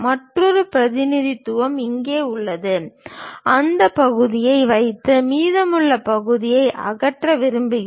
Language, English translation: Tamil, Another representation is here we would like to keep that part and remove the remaining part